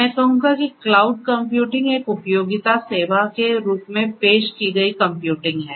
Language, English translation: Hindi, Right I would say that cloud computing is computing offered as a utility service; computing offered as a utility service